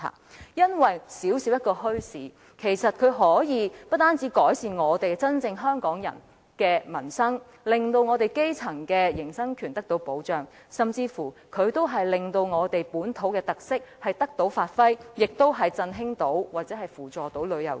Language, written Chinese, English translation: Cantonese, 這是因為小小的墟市不單可以真正改善香港人的民生，使基層的營生權獲得保障，甚至可以令我們的本土特色得以發揮，從而振興或扶助旅遊業。, This is because bazaars however small can really serve to improve the livelihood of Hong Kong people safeguard the grass roots right to earn a living and even bring our local characteristics into play so as to revitalize or support our tourism industry